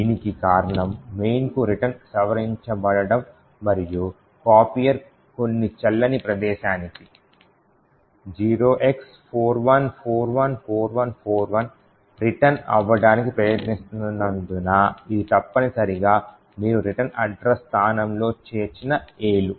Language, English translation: Telugu, This is because the return to main has been modified and the copier is trying to return to some invalid argument at a location 0x41414141 which is essentially the A’s that you are inserted in the return address location and which has illegal instructions